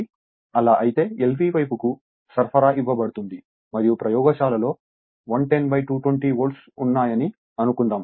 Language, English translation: Telugu, So, if you so supply is given to l voltage side and you have to suppose in the laboratory you have 110 by 220 volt